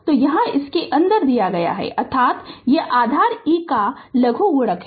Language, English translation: Hindi, So, here you are here it is given ln means it is log of base e